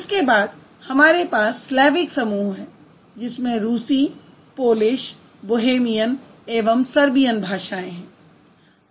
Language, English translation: Hindi, Then we have Slavic group which has Russian, Polish, Bohemian and Serbian languages